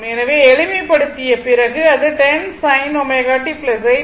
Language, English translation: Tamil, So, after simplification you will get it is 10 sin omega t plus 8